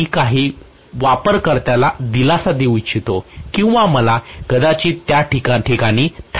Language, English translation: Marathi, I make like to give some user comfort or I might like to probably specifically stop at the point